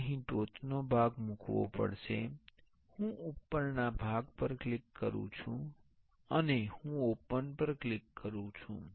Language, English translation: Gujarati, I have to place the top part here, I click the top part and I will click open